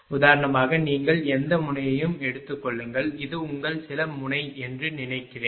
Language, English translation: Tamil, For example, you take any node suppose this is your some node right here